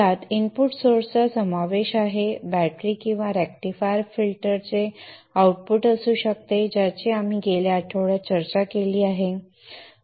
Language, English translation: Marathi, It could be a battery or the output of the rectifier filter which we discussed in the last week